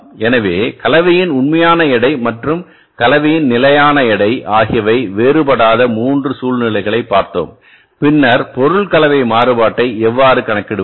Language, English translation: Tamil, So we have seen the three situations when the actual weight of the mix and the standard weight of the mix do not differ then how to calculate the material mix variance